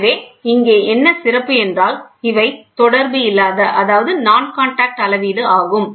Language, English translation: Tamil, So, here what is the beauty that is non contact measurement